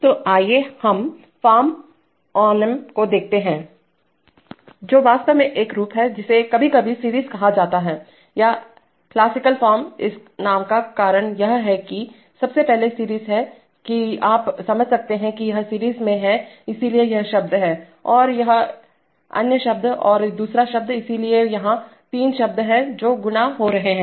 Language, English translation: Hindi, So let us look at form onem actually turns out that form one is sometimes called the series or interacting or classical formm the reasons for this names is that firstly series that you can understand thatm this is in seriesm so this is one term and this is the other term and this is the other term, so there are three terms which are getting multiplied